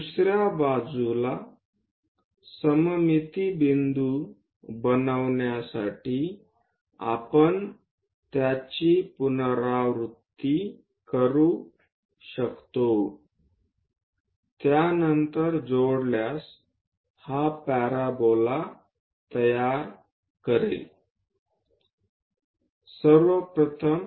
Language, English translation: Marathi, We can repeat it to construct the symmetric points on the other side after that join them to construct this parabola